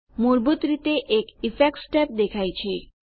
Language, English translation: Gujarati, By default the Effects tab is displayed